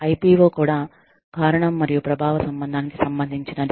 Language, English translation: Telugu, IPO is also related to, the cause and effect relationship